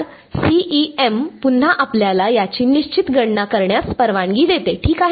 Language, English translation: Marathi, So, CEM again allows us to calculate these exactly ok